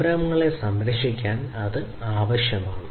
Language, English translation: Malayalam, It is required to protect the enterprises